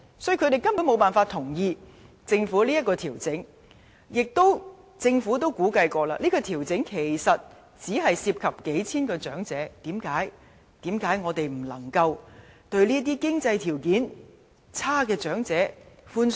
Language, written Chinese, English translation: Cantonese, "所以，他們根本無法同意政府這項調整，而政府也曾估計，這項調整只涉及數千名長者，為何我們不能寬鬆一點去對待這些經濟條件較差的長者呢？, Therefore they simply cannot agree to this adjustment proposed by the Government . Moreover since the Government estimates that the adjustment will involve merely a few thousand elderly people so why can we not offer more generous treatment to these elderly people who struggle to make ends meet?